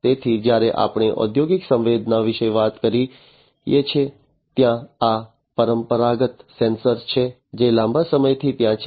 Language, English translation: Gujarati, So, when we talk about industrial sensing there are these conventional sensors that have been there since long